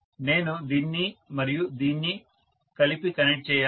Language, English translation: Telugu, I have to connect this and this together